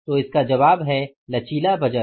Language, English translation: Hindi, So, the answer is the flexible budgets